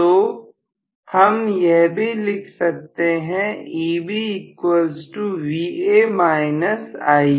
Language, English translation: Hindi, So, I can write Eb plus IaRa equal to Va